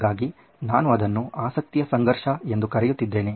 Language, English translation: Kannada, We are calling it the conflict of interest